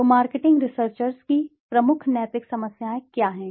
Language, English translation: Hindi, So what are the major ethical problems of marketing researchers